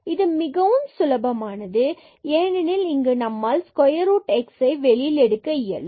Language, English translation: Tamil, And, this is simple because we can take here square root x out and here we will take x out